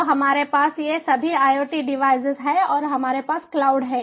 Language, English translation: Hindi, so we have all these iot devices, we have all these iot devices and we have the cloud